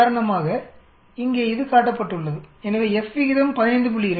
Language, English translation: Tamil, So for example, here it is shown so the F ratio is 15